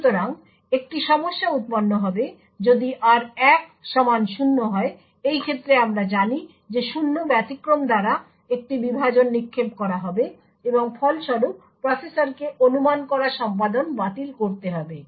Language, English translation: Bengali, So, there would be a problem that would occur if r1 happens to be equal to 0, in such a case we know that a divide by zero exception would be thrown and as a result the processor would need to discard the speculated execution